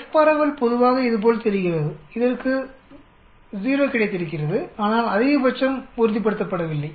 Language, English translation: Tamil, The F distribution generally looks like this, it has got a 0, but the maximum is not fixed